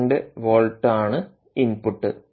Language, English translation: Malayalam, twelve volt is taken as input